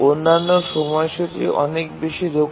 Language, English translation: Bengali, The other schedulers are much more efficient